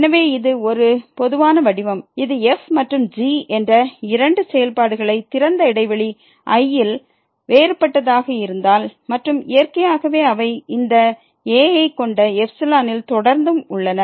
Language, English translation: Tamil, So, this is a more general form this if and are two functions differentiable on open interval and naturally they are also continuous on the containing this and this is